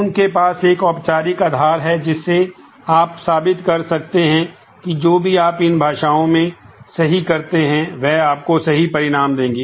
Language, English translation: Hindi, They have a formal basis that can you can prove that whatever do you do in these languages are correct, and will give you the correct result